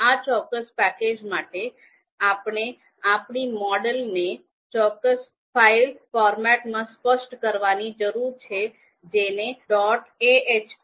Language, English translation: Gujarati, So, however, this particular package requires us to specify our model in a specific particular file format which is called dot ahp